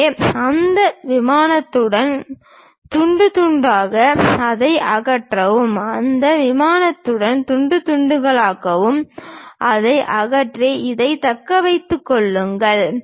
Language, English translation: Tamil, So, slice along that plane remove that, slice along that plane remove that and retain this one